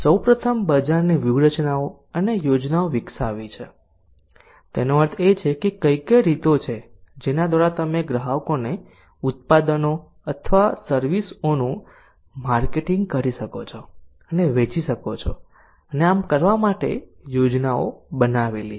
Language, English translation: Gujarati, so first is to develop market strategies and plans that means what are the ways through which you can market or buy and sell the products or services to the customers and the plans made for doing so